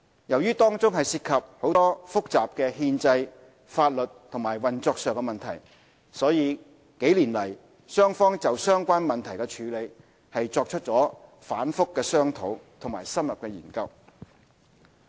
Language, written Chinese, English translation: Cantonese, 由於當中涉及很多複雜的憲制、法律和運作上的問題，所以數年來雙方就相關問題的處理作出了反覆商討和深入研究。, Since this involves many complicated constitutional legal and operational issues the two sides have been discussing and studying in depth on how such issues should be handled